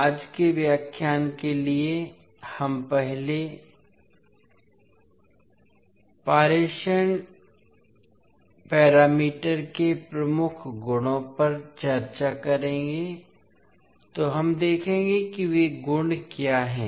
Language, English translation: Hindi, For today’s lecture we will first discuss the key properties of the transmission parameters, so we will see what are those the properties